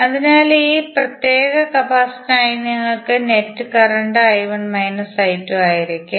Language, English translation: Malayalam, So, for this particular capacitor you will have net current as I 1 minus I 2